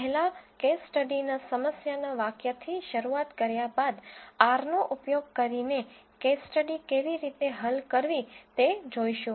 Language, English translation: Gujarati, First we will start with the problem statement of the case study followed by how to solve the case study using R